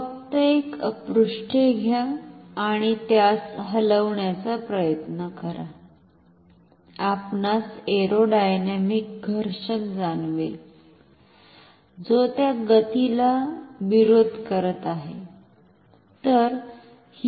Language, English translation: Marathi, Just take a pages and try to move it, you will feel the aerodynamic friction which is opposing the motion